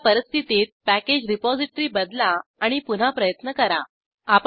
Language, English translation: Marathi, In that case, change the package repository and try again